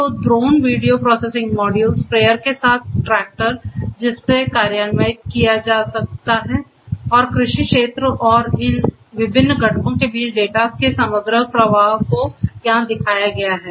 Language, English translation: Hindi, So, drones, video processing module, tractor with sprayer which can be actuated, and agricultural field and the overall flow of data between these different components are shown over here